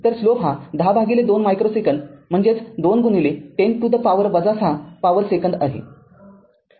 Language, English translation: Marathi, So, the slope will be 10 divided by it is micro second 2 micro second that means, 2 into 10 to the power minus 6 whole power second